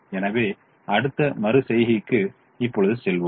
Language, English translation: Tamil, so we proceed to the next iteration